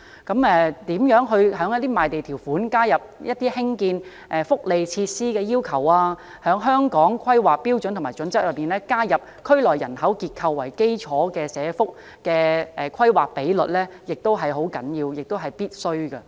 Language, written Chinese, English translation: Cantonese, 在賣地條款中加入興建福利設施的要求，在《香港規劃標準與準則》中加入以區內人口結構為基礎的社區服務規劃比率，是十分重要及必須的。, It is also very important and even essential to incorporate the provision of welfare facilities in land sale conditions and include in the Hong Kong Planning Standards and Guidelines HKPSG the planning ratio of social services based on the demographic structure in the relevant districts